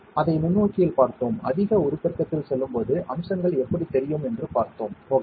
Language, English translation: Tamil, We saw it under the microscope, we saw how the features are visible as we go at higher magnifications, ok